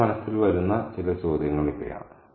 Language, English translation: Malayalam, So these are some of the questions that come to our mind